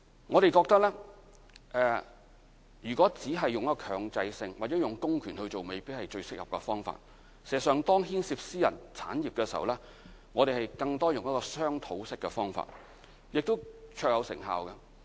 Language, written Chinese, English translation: Cantonese, 我們認為，如果只是強制性或用公權進行，未必是最適合的方法，事實上，當牽涉私人產業的時候，我們更多用的是商討式的方法，而此法亦是最有成效的。, We do not think it is the most appropriate if we rely entirely on compulsion or public powers . As a matter of fact whenever private property is involved we often tackle the issue through discussion as it is most effective to do so